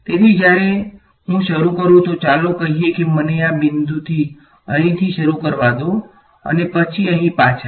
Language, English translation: Gujarati, So, when I start from let us say let me start from this point over here and work my way all the way back over here